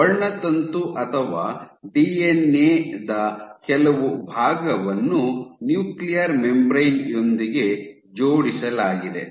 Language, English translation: Kannada, So, some portion of the chromosome or the DNA is attached to the membrane in a nuclear membrane